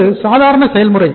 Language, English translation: Tamil, This is the normal process